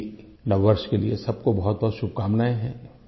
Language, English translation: Hindi, My greetings to everybody on this auspicious occasion of New Year